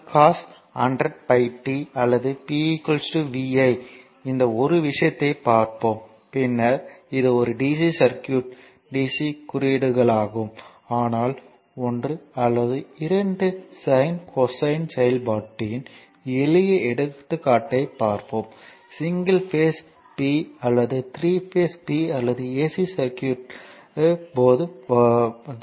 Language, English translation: Tamil, So, 12 cos 100 pi t; hence the power is p is equal to v i listen one thing this is we are covering then general it is a DC dc circuit DC codes, but one or two simple example of your sine cosine function I am taken and detail sine cosine detailed your in terms of sine cosine and single phase power or 3 phase power that will come when the AC circuit